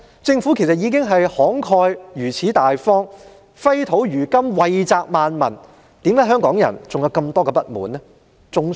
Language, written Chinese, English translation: Cantonese, 政府如此慷慨大方，揮金如土，惠澤萬民，為何香港人仍有這麼多不滿？, When the Government is so generous and spent so extravagantly for the benefit of the people how come Hong Kong people are still discontented?